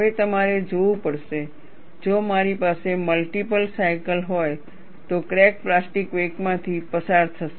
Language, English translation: Gujarati, Now, you have to see, if I have multiple cycles, the crack will go through a plastic wake; we will see that also